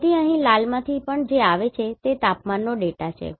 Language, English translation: Gujarati, So, here whichever is coming in the red there, this is a temperature data